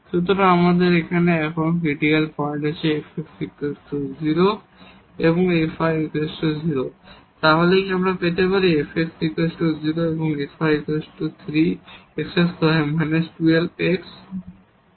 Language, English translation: Bengali, So, here we have the critical points now the fx is equal to 0 and fy is equal to 0, so what do we get, fx is equal to 0 is what is fx, fx is 3 x square minus this 12 x